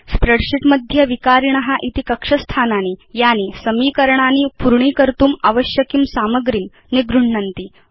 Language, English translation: Sanskrit, In a spreadsheet, the variables are cell locations that hold the data needed for the equation to be completed